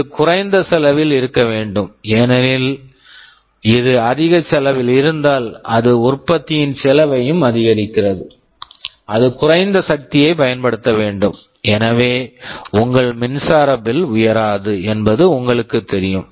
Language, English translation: Tamil, It must be low cost because if it is of a higher cost it also increases the cost of the product, it must consume low power, so you know your electric bill should not take a hit